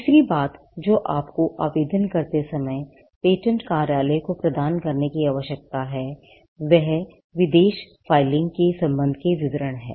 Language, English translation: Hindi, Third thing that you need to provide to the patent office while filing an application is, details with regard to foreign filing